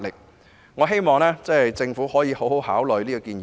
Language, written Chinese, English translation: Cantonese, 因此，我期望政府能認真考慮這個建議。, Therefore I expect the Government to seriously consider this proposal